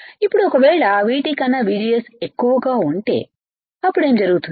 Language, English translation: Telugu, Now, if I have VGS greater than V T, then what will happen